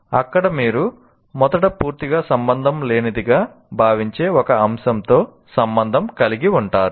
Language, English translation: Telugu, That's where you can relate one aspect to something you may consider initially totally unrelated